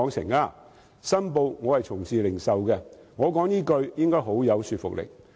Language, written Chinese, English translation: Cantonese, 我要申報，我從事零售業，我說出這句話應該很有說服力。, I must declare that I am engaged in the retail industry . This next remark to be made by me should be quite convincing